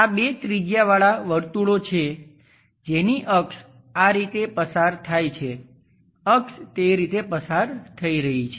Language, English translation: Gujarati, These are two circles having radius may axis is passing in that way, axis is passing in that way